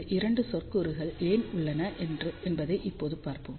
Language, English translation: Tamil, So, let us see now why these 2 terms are there